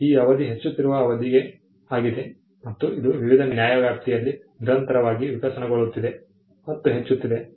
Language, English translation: Kannada, The term has been an increasing term and it is been constantly evolving and increasing in different jurisdictions